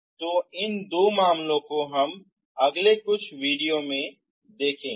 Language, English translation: Hindi, So these two cases we will see in the next few videos